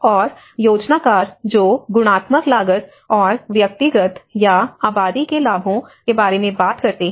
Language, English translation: Hindi, And planners which talk about the qualitative cost and the benefits of individual versus settlement